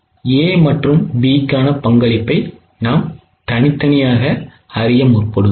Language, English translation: Tamil, We know the contribution individually for A and B